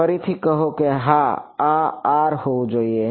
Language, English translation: Gujarati, Say again yeah this should be R